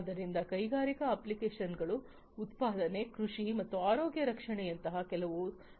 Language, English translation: Kannada, So, industrial applications could be many such as manufacturing, agriculture, healthcare, and so on